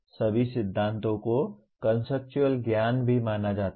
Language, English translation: Hindi, All theories are also considered as conceptual knowledge